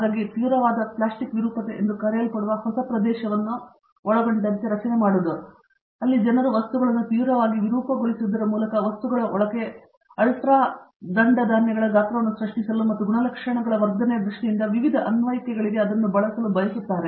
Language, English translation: Kannada, So, forming also including new area what is called severe plastic deformation that has come in, where people want to generate ultra fine grain sizes inside the material by severely deforming these materials and use that for various applications in terms of enhancement of properties